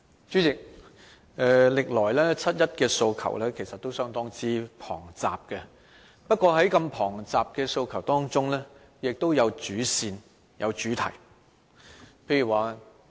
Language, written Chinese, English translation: Cantonese, 主席，歷來七一的訴求都相當龐雜，但在如此龐雜的訴求中，也有主線，有主題。, President over the years people participating in the 1 July march have numerous aspirations including major aspirations and major themes